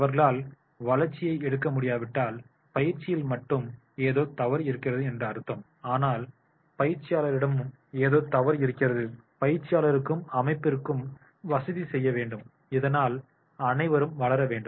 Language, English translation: Tamil, If they are not able to take the growth, it means that there is something wrong not only with the trainee but there is also something wrong with the trainer and organization should facilitate trainer and trainee so that everyone grows